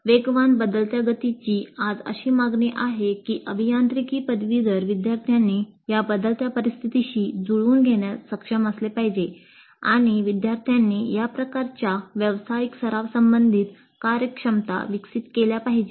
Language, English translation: Marathi, The fast changing pace of technology today demands that the engineering graduates must be capable of adapting to this changing scenario and industry expects these kind of professional practice related competencies to be developed in the students